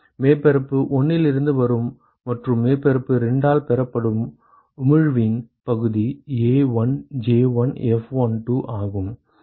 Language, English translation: Tamil, The fraction of emission that comes from surface 1 and received by surface 2 is A1J1F12